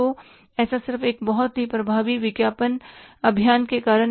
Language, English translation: Hindi, So, that is just because of very, very effective advertising campaign